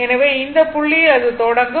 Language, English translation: Tamil, So, this is the origin here it is starting